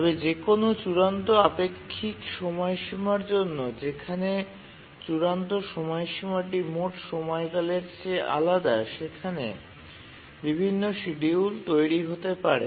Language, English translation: Bengali, But for arbitrarily relative deadlines where the deadline may be different from the period, they may produce different schedules